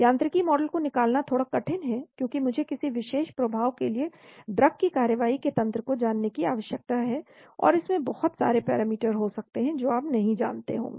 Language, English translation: Hindi, Deriving mechanistic models are a bit tough, because I need to know the mechanism of action of a drug leading to a particular effect and there could be lot of parameters which you might not know